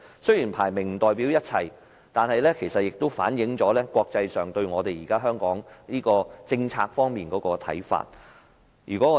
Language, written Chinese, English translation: Cantonese, 雖然排名不代表一切，但也反映了國際社會對香港現行政策的看法。, Although the rankings do not mean everything this Bloomberg Innovative Index does reflect how the world sees the present policies of Hong Kong